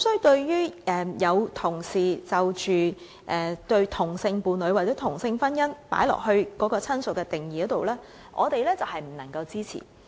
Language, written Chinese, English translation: Cantonese, 對於有同事把同性伴侶或同性婚姻人士加入"親屬"的定義中，我們不能夠支持。, Regarding the proposal of colleagues for including same - sex partners or parties of same - sex marriage in the definition of relative we cannot support it